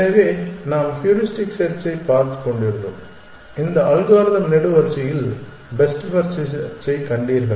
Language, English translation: Tamil, So, we were looking at heuristic search and you saw this algorithm column best first search